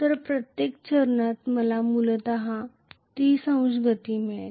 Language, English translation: Marathi, So, for every step I will get basically 30 degree motion